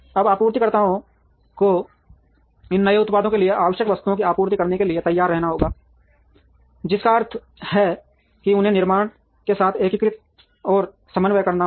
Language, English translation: Hindi, Now, suppliers have to be ready to supply the items that are needed for these new products quickly, which means they will have to integrate and coordinate with the manufacturer